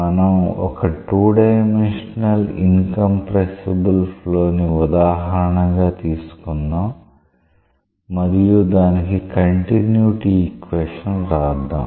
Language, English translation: Telugu, Let us take an example of 2 dimensional incompressible flow and write the form of the continuity equation for that